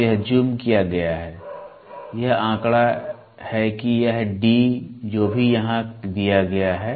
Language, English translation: Hindi, So, this is the zoomed to figure of it this is the D whatever is given here